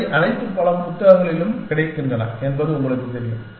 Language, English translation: Tamil, And all these have you know, available in many books